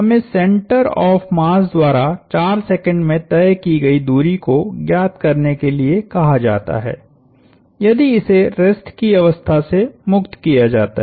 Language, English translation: Hindi, We are asked to find the distance travelled by the mass center in 4 seconds if it is released from rest